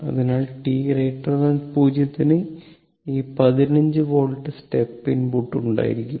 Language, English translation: Malayalam, So, for t greater than 0, this 15 volt step input will be here